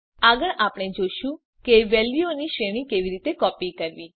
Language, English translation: Gujarati, Next well see how to copy a range of values